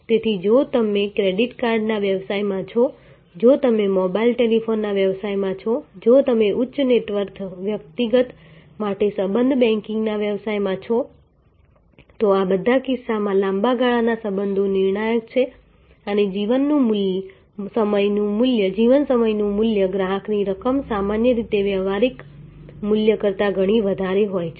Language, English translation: Gujarati, So, if you are in the business of credit card, if you are in business of mobile telephony, if you are in the business of relationship banking for high net worth individual, in all these cases long term relationships are crucial and the life time value of the customer are normally much higher than transactional value